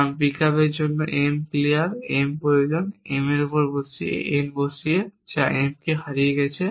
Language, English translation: Bengali, Because for pickup m needed clear m by putting n on to M that clears M is been lost